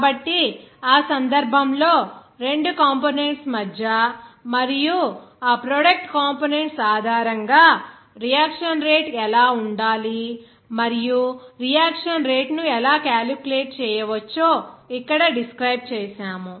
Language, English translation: Telugu, So, in that case, what should be the rate of that reaction between two components and based on that product components, how the rate of the reaction can be calculated to be described here